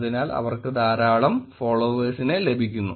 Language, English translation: Malayalam, Therefore, they gain a lot of followers